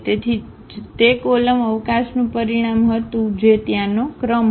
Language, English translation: Gujarati, So, that was the dimension of the column space that was the rank there